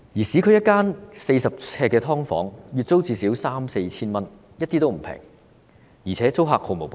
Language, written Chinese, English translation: Cantonese, 市區一間40呎的"劏房"，月租最少三四千元，一點也不便宜，而且租客毫無保障。, The monthly rent of a subdivided unit of 40 sq ft in the urban area is at least 3,000 to 4,000 . It is by no means cheap . Moreover there is no protection for tenants